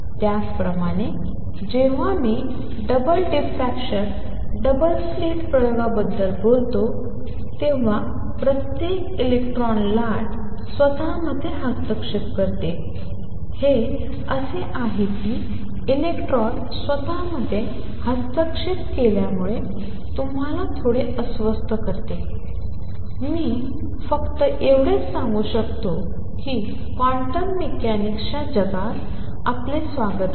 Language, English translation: Marathi, Similarly when I talk about double diffraction double slit experiment with electrons each electrons wave interferes with itself, it is as if electron interfering with itself that makes you little uneasy, only thing I can say is welcome to the world of quantum mechanics this is how things work out